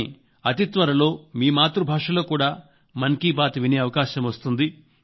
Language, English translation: Telugu, But very soon, you would get the opportunity to listen to Mann Ki Baat in your mother tongue